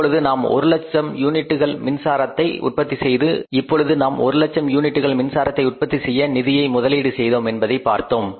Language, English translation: Tamil, Now we have seen here that we have invested the funds to generate how many units of the power, 100,000 units of the power, 1 lakh units of the power